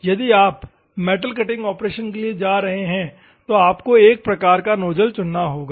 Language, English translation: Hindi, If you are going for a metal cutting operation, you have to choose one type of nozzle